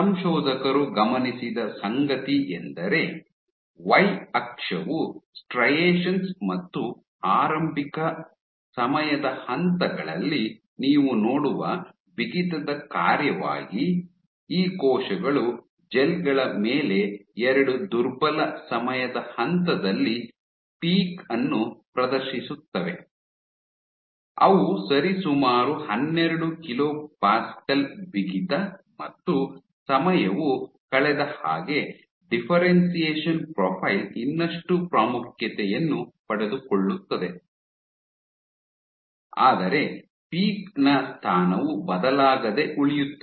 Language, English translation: Kannada, So, the Y axis were striations, what they observed was as a function of stiffness you see at early time points these cells exhibited a peak at a 2 week time point on gels which were roughly 12 kilo Pascale stiffness and this as time went on the differentiation profile grew even more prominent, but the position of the peak remained unchanged